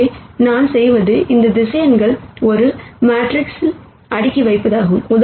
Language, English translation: Tamil, Where, what we do is we stack these vectors, into a matrix